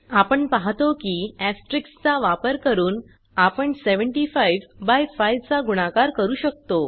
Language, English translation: Marathi, we see that by using asterisk we could multiply 75 by 5